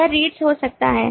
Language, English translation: Hindi, it could be reads